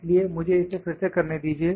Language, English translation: Hindi, So, let me try to do it again